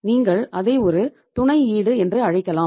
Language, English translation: Tamil, You can call it as a collateral